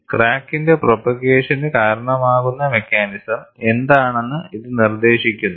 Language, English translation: Malayalam, This dictates, what is the mechanism, that precipitates propagation of crack